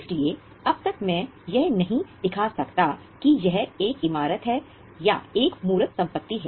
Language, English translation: Hindi, So, as of now, I cannot show it as a building or as a tangible asset